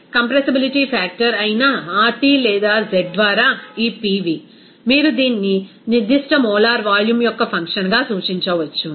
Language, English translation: Telugu, So, this Pv by RT or z that is compressibility factor, you can represent it as a function of specific molar volume